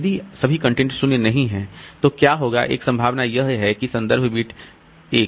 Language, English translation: Hindi, If the content is not all zero, then what will happen is one possibility is that this reference bit is on